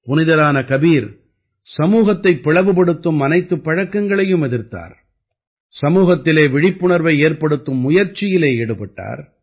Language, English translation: Tamil, Sant Kabir opposed every evil practice that divided the society; tried to awaken the society